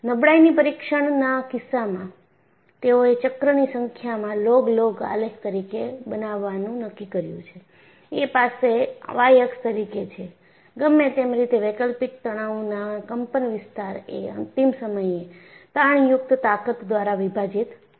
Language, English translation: Gujarati, So, in the case of a fatigue test, they decided to plot a log log graph between the life, in number of cycles and you have the y axis is, whatever the amplitude of the alternating stress divided by the ultimate tensile strength